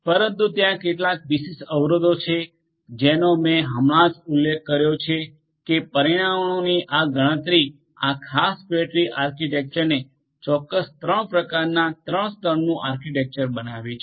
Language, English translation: Gujarati, But, there are certain specific constraints that I just mentioned this enumeration of constants makes this particular fat tree architecture a specific 3 type 3 tier architecture